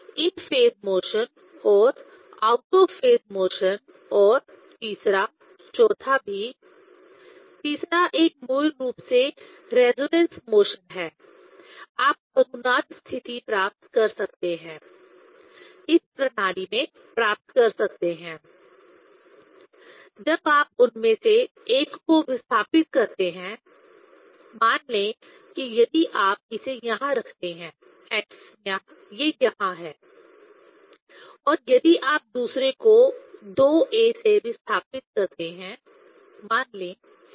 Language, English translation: Hindi, So, in phase motion and out of phase motion and also third, fourth; third one is basically resonance motion you can get resonance condition you can achieve in this system; when if you displaced one of them say if you keep it here x this one here and other one if you displace by two a, say